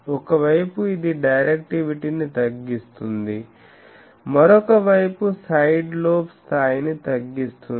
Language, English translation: Telugu, Because one side it reduces directivity, another side is puts the sidelobe level down